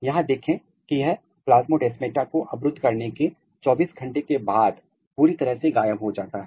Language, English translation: Hindi, Look here this is completely disappeared after 24 hour of the blocking plasmodesmata